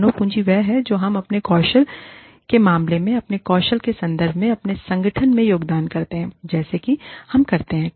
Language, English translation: Hindi, Human capital is, what, we as employees, contribute to our organization, in terms of our skills, in terms of our talents, in terms of what we do